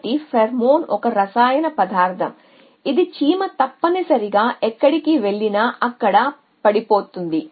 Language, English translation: Telugu, So, pheromone is a chemical sentences which an ant drops wherever it goes essentially